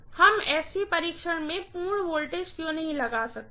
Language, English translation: Hindi, Why cannot we apply full voltage in SC test